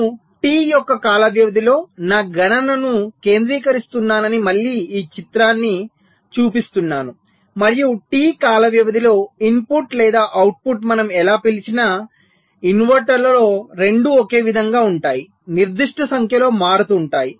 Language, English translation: Telugu, so i am again showing that picture, that i am concentrating my calculation within a time period of t, and within the time period t, the input or the output [vocalized noise], whatever we call in inverter, both will be the same will be changing certain number of times